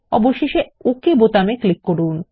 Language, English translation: Bengali, Finally, click on the OK button